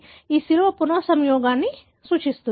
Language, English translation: Telugu, The cross denotes the recombination